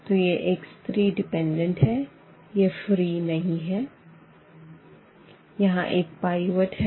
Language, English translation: Hindi, So, this x 3 is dependent, this is not free we have the pivot there